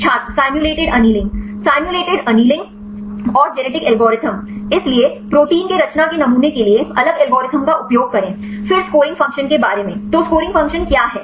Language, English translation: Hindi, simulated annealing simulated annealing and the genetic algorithm; so, use different algorithm to sample the proteins conformation, then regarding scoring function; so what is scoring function